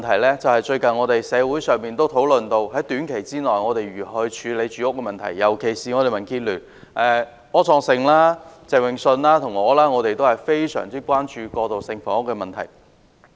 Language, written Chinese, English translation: Cantonese, 另一個是近日社會亦討論到的問題，即在短期內應如何處理住屋問題，而民主建港協進聯盟的柯創盛議員、鄭泳舜議員和我均尤其關注過渡性房屋的問題。, Another issue is a recent topic of discussion in the community . It is about how to address the housing problem in the short term . Mr Wilson OR Mr Vincent CHENG and I from the Democratic Alliance for the Betterment and Progress of Hong Kong are particularly concerned about transitional housing